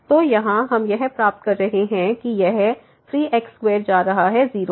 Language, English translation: Hindi, So, here we are getting this square is going to